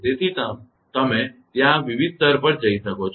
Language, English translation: Gujarati, So, you can different layer it is there